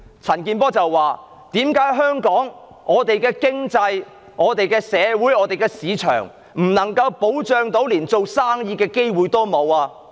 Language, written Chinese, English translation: Cantonese, 陳健波議員問："為何在香港，我們的經濟、社會和市場不受保障，連做生意的機會都沒有？, Mr CHAN Kin - por asked Why have our economy society and market become unprotected in Hong Kong and the opportunity for business vanished?